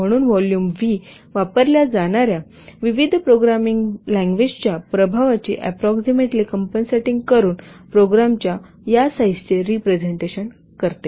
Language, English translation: Marathi, Therefore, the volume V, it represents the size of the program by approximately compensatory for the effect of the different programming languages used